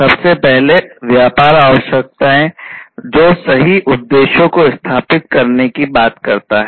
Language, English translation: Hindi, First is the business requirements, which talks about setting the right objectives